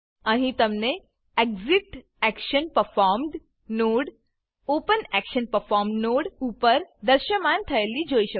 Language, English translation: Gujarati, Here, you can see the ExitActionPerformed node appearing above the OpenActionPerformed node